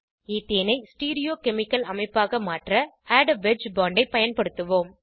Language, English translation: Tamil, Let us use Add a wedge bond to convert Ethane to a Stereochemical structure